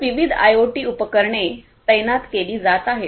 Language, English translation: Marathi, So, different IoT devices are going to be deployed